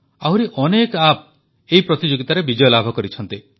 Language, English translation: Odia, Many more apps have also won this challenge